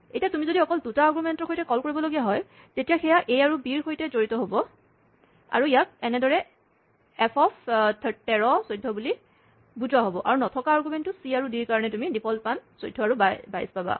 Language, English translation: Assamese, Then, if you have a call with just 2 arguments, then, this will be associated with a and b, and so, this will be interpreted as f 13, 12, and for the missing argument c and d, you get the defaults 14 and 22